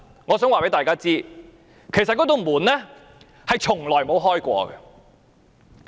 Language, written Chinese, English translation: Cantonese, 我想告訴大家，其實這道門從來未打開過。, Let me tell you all the truth is the gate has never been opened